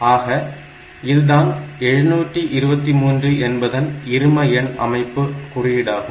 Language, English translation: Tamil, So, this is the representation of 723 in the binary number system